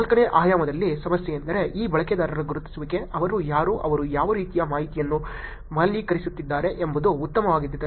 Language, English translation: Kannada, On the fourth dimension, problem is that identification of this users, who they are, what kind of information they are valuing is also getting better